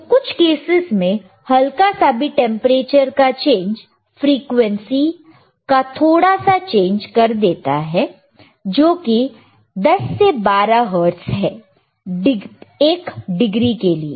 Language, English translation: Hindi, So, in some of the cases, even the smallest change in the temperature will cause a little bit change in the frequency which is 10 to 12 hertz for 1 degree right